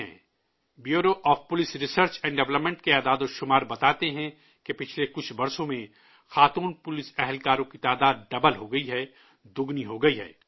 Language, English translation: Urdu, The statistics from the Bureau of Police Research and Development show that in the last few years, the number of women police personnel has doubled